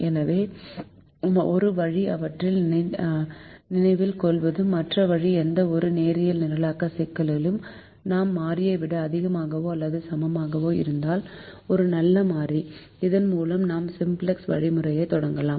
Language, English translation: Tamil, the other way is also to say that in in any linear programming problem we have a greater than or equal to variable is a good variable with which we can start the simplex algorithm